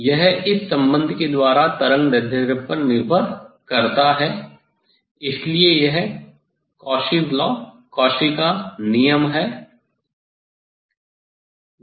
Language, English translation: Hindi, dispersive power how it depends on the wavelength, so this is the Cauchy s relation formula